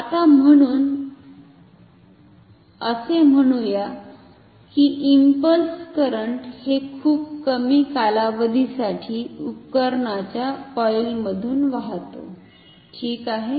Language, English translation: Marathi, Now, say impulse current flows through the coil of the instrument for a very short duration ok